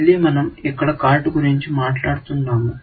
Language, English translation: Telugu, Again, we are talking about a card here